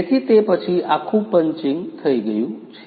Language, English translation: Gujarati, So after that entire punching is done